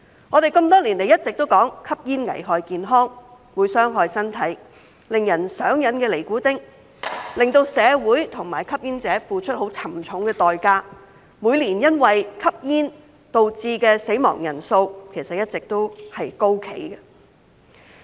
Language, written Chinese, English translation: Cantonese, 我們多年來一直都說吸煙危害健康，會傷害身體，令人上癮的尼古丁，會令社會及吸煙者付出沉重的代價，而每年因為吸煙導致死亡的人數一直高企。, For many years we have been saying that smoking is hazardous to health and harmful to the body . The addictive nicotine will cost society and smokers a heavy price and the number of deaths from smoking each year remains high